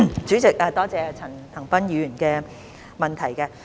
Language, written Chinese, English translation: Cantonese, 主席，多謝陳恒鑌議員的問題。, President I thank Mr CHAN Han - pan for his question